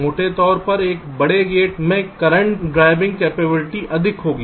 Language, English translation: Hindi, larger gate will have larger current driving capacity